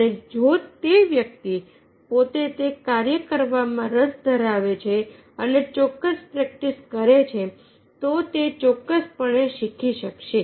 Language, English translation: Gujarati, if the person himself with interested to do and practices certain, he will definitely learn